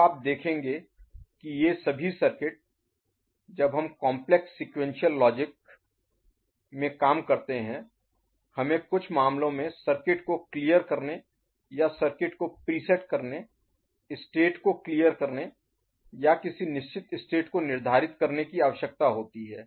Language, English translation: Hindi, Now you will see that all these circuits when we employ in complex sequential logic you know, implementation we need in certain cases clearing the circuit or presetting the circuit, clearing the state or presetting the state, at a given time